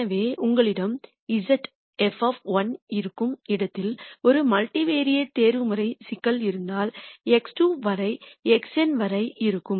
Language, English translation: Tamil, So, if you have a multivariate optimization problem where you have z is f of x 1, x 2 all the way up to x n